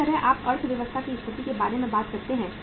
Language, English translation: Hindi, Similarly, you talk about the state of the economy